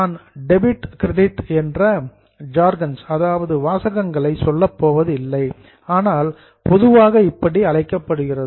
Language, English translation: Tamil, I am not going into jargonsoons of why debit, why credit credit but normally this is called as credit